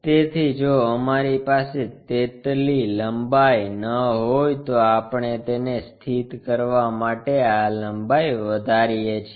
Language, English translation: Gujarati, So, if we are not having that enough length, so what we can do is increase this length to locate it